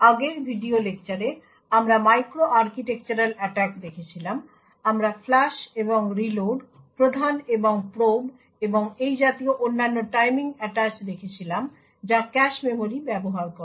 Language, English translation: Bengali, So, in the previous video lectures we had looked at micro architectural attacks, we had looked at flush and reload, the prime and probe and other such timing attach which uses the cache memory